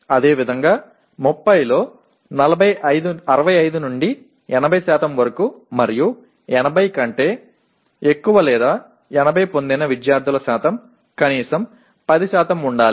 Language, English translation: Telugu, Similarly for 65 to 80% in 30 and percentage of student getting 80 greater than 80 should be at least 10%